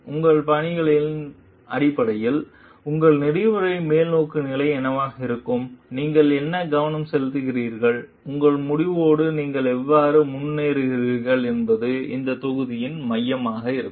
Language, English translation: Tamil, And based on your styles, what could be your ethical orientations, and what you focus on, and how you move forward with your decision will be the focus of this module